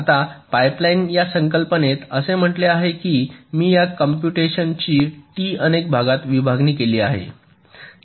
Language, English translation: Marathi, now the concept of pipe lining says that i am splitting this computation t into several parts